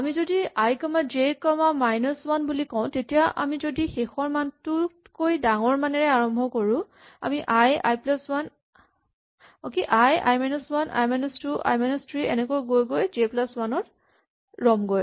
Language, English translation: Assamese, So, if we say i comma j comma minus 1 then provided we start with the value which is bigger than the final value, we will start with i produce, i minus 1, i minus 2 and so on and we will stop with j plus 1